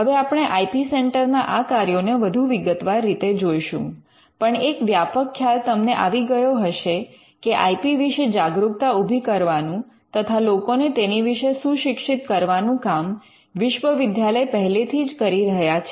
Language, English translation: Gujarati, Now, these we will look at these the functions of an IP centre in greater detail, but broadly you would know that awareness and educational IP education is something that universities are already doing